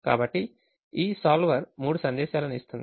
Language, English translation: Telugu, so this solver will give three messages